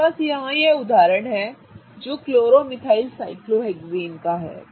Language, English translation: Hindi, I have this example here which is that of a chloromethyl cyclohexane